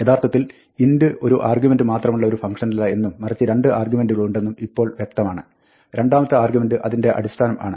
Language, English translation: Malayalam, Now, it turns out that, int is actually not a function of one argument, but two arguments; and the second argument is the base